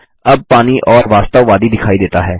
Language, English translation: Hindi, The water looks more realistic now